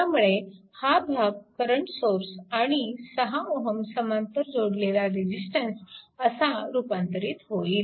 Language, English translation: Marathi, You convert it to a current source and in parallel you put 6 ohm resistance